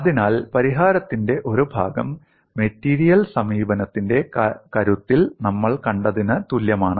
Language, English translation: Malayalam, So, I have a part of the solution is same as what we have seen in the strength of materials approach